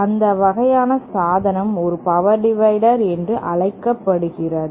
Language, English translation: Tamil, That kind of device is called a power divider